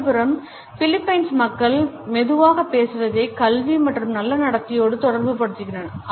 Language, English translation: Tamil, On the other hand people from Philippines speak softly, associate a soft speech with education and good manners